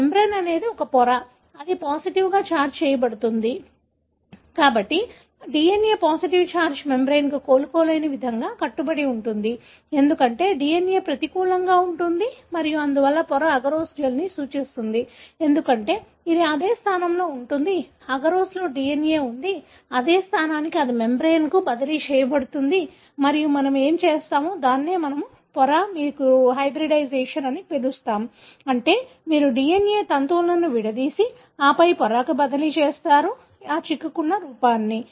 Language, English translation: Telugu, This membrane is a membrane, that is positively charged, so the DNA goes and, sort of irreversibly bound to the positively charged membrane, because the DNA is negative and therefore the membrane would represent the agarose gel, because it is the same position where the DNA was present in the agarose, the same position it will be transferred to the membrane and we us the membrane to what you do as, what you call as hybridization, meaning you have the DNA strands separated and then transferred to the membrane in a single stranded form